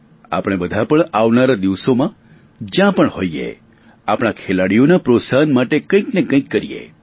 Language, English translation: Gujarati, In the days to come, wherever we are, let us do our bit to encourage our sportspersons